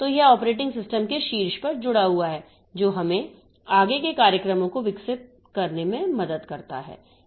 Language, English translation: Hindi, So, it is attached on top of the operating system that helps us in developing further programs